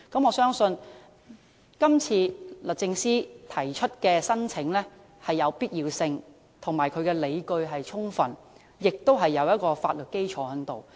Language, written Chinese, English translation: Cantonese, 我相信律政司今次提出的申請有必要性，而且理據充分，亦具法律基礎。, I believe it is necessary justifiable and legally sound for DoJ to make such an application today